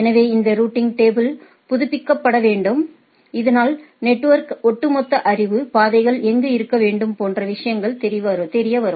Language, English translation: Tamil, So, this routing table are need to be updated so that the overall knowledge of the network, how need to be where the paths are need to be is known to the things